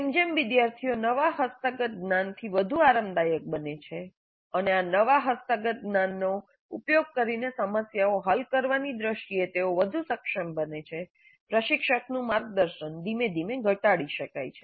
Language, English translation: Gujarati, As students become more comfortable with the newly acquired knowledge and as they become more competent in terms of solving problems using this newly acquired knowledge, the mentoring by the instructor can be gradually reduced